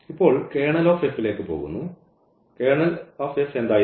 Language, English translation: Malayalam, Now, getting to the Kernel of F; so, what was the Kernel of F